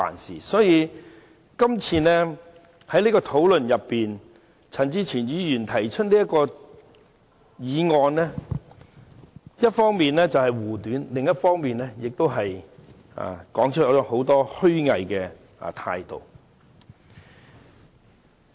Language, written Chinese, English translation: Cantonese, 在這次辯論中，陳志全議員提出的議案，一方面是為了護短，另一方面是顯露了其虛偽態度。, In this debate on the motion proposed by Mr CHAN Chi - chuen his attempt to cover up anothers fault and his hypocritical attitude are revealed